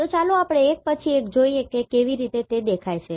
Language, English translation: Gujarati, So, let us see one by one how they appear